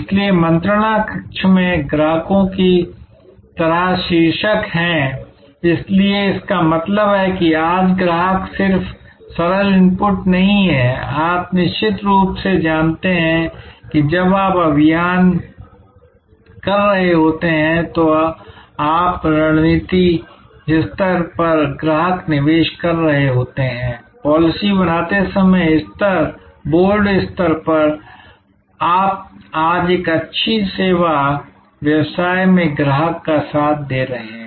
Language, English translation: Hindi, So, there are titles like customers in the boardroom, so which means today customers are not just simple inputs coming from on you know certain times when you are having a campaign, you are having the customer inputs at the strategic level, at the policy making level, at the board level your co opting the customer in a good service business today